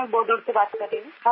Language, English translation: Hindi, I am speaking from Bodal